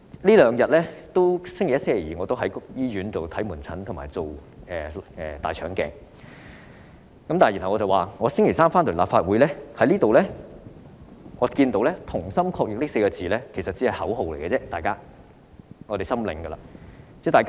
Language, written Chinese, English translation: Cantonese, 在星期一和星期二，我在醫院看門診，負責大腸鏡檢查，星期三回到立法會，看到"同心抗疫"這4個字，我知道這只是口號而已。, I provide consultation service in outpatient clinics and am responsible for colonoscopy examination on Mondays and Tuesdays and then come back to the Legislative Council on Wednesdays . When I come across the phrase Fight the Virus Together I know it is merely a slogan